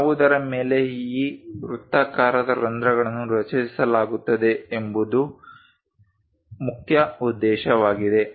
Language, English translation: Kannada, The main object is this on which these circular holes are created